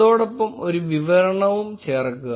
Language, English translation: Malayalam, And add a description